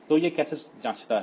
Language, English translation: Hindi, So, how does it check